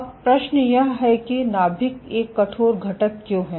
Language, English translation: Hindi, So, why is the nucleus is a stiffest component